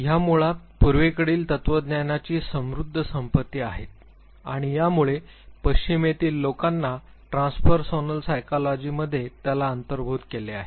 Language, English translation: Marathi, They are basically the rich wealth of the eastern philosophy and it did provide cue to people in the west who are engaging in themselves in transpersonal psychology